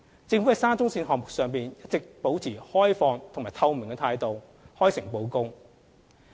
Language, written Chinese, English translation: Cantonese, 政府在沙中線項目上，一直保持開放和透明的態度，開誠布公。, The Government has all along adopted an open transparent and honest approach in relation to the SCL project